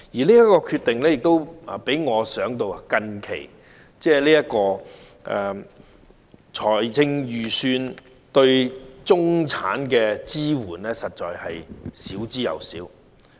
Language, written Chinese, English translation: Cantonese, 這項決定讓我想到最近的財政預算案對中產的支援，實在是少之又少。, This decision reminds me of the extremely limited support to the middle class in the latest Budget